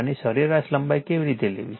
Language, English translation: Gujarati, And how to take the mean length how to take